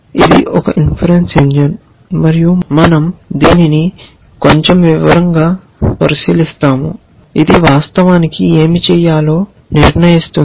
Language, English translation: Telugu, It is a inference engine, and we will look at this in a little more bit detail, which decides what are the actions which are actually done